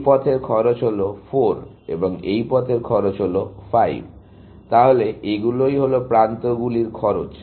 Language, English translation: Bengali, The cost of this path is 4, and the cost of this path is 5, so the cost of that edges